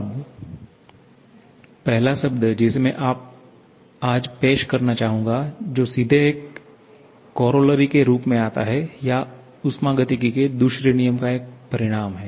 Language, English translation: Hindi, Now, the first term that I would like to introduce today which comes straight as corollaries or consequence of the second law of thermodynamics is the reversible process